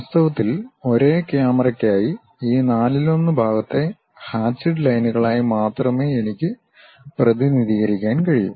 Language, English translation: Malayalam, In fact, for the same camera I can only represent this one fourth quarter of that as hatched lines